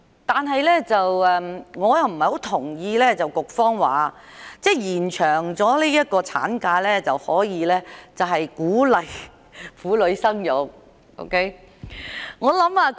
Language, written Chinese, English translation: Cantonese, 但是，我不太認同局方提出，延長產假可鼓勵婦女生育的說法。, However I do not quite agree with the argument put forward by the Bureau that the extension of maternity leave can encourage childbearing